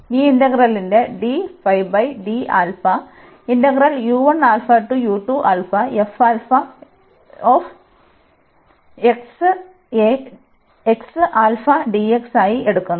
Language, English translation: Malayalam, So, what is this integral